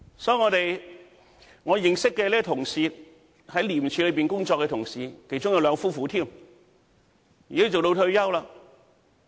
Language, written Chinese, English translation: Cantonese, 所以，我認識這位在廉署工作的同事，其中也有兩夫婦，現在已經退休。, This friend of mine as well as his wife had worked for ICAC . Both of them are now retired